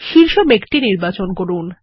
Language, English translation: Bengali, Let us select the top cloud